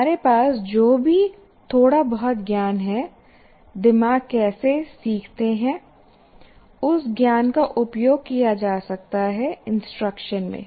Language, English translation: Hindi, So whatever little knowledge that we have, how brains learn, that knowledge can be used in instruction